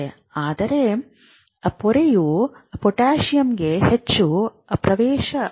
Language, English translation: Kannada, But the membrane is much more permeable to potassium